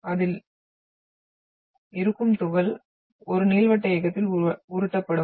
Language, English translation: Tamil, So it will have, particle will be rolled in an elliptical motion